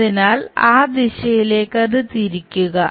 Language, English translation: Malayalam, So, rotate that in that direction